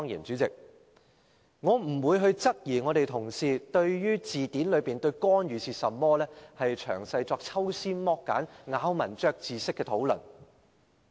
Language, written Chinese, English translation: Cantonese, 主席，我不會質疑我們的同事對字典中"干預"的定義，作抽絲剝繭、咬文嚼字式的討論。, President I cast no doubts on my colleagues painstaking and fastidious discussion concerning the definition of interference in the dictionary